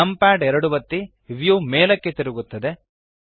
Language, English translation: Kannada, Press numpad 2 the view rotates upwards